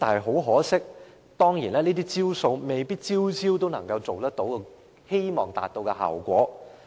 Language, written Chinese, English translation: Cantonese, 很可惜，這些"招數"未必每招都能夠達到預期效果。, Unfortunately not all of these measures can achieve the desired effect